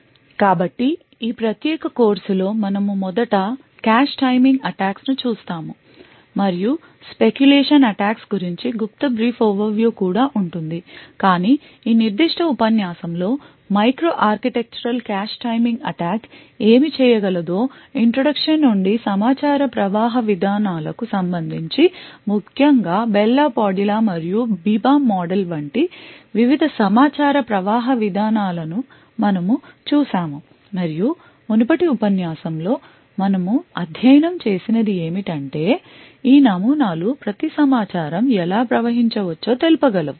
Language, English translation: Telugu, So in this particular course we'll be first looking at the cache timing attacks and we'll have also have a brief overview of speculation attacks but in this specific lecture we would have an introduction to what a micro architectural cache timing attack can do with respect to the information flow policies so in particular we have seen the various information flow policies like the Bell la Padula and BIBA model and what we had actually studied in the previous lecture was that each of these models could respect how information can flow for example in the Bell la Padula model we had different levels ranging from top secret to confidential and so on and the rules provided by the Bell la Padula model decided how information should be flowing from a one level to another level for example the model defined that I users present in a lower level such as an unprivileged or unclassified user would not be able to read a top secret document